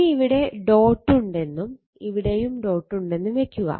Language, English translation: Malayalam, Similarly if you put the dot is here and dot is here